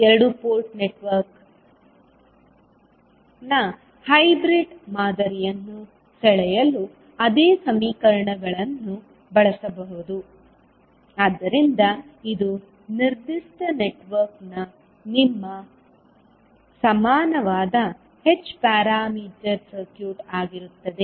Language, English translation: Kannada, So the same equations you can utilize to draw the hybrid model of a two port network, so this will be your equivalent h parameter circuit for a particular network